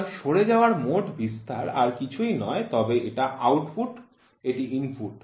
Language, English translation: Bengali, So, span drift is nothing, but output, this is input